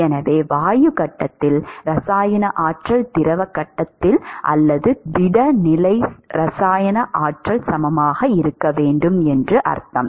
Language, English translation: Tamil, So, that which means that the chemical potential in the gas phase should be equal to the chemical potential in the liquid phase or the solid phase right